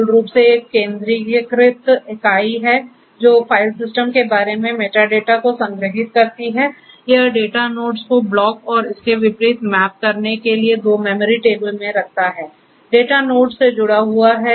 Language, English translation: Hindi, So, the name node basically is something which is the centralised entity which stores the metadata about the file system, it maintains two in memory tables to map the data nodes to the blocks and the vice versa